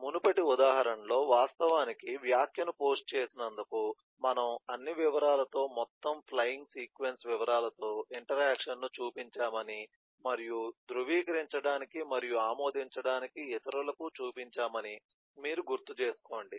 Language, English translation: Telugu, so in the earlier example, you recall that for actually posting the comment, we had shown the interaction with all the details: ehh, total flying, eh, sequence details and eh for the others of validate and approve and so on